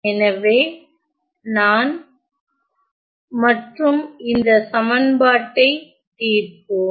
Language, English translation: Tamil, So, I have to find solve this equation